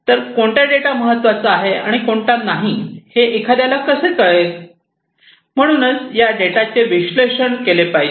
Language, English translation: Marathi, So, how can one know which data are relevant and which are not, so that is why this data will have to be analyzed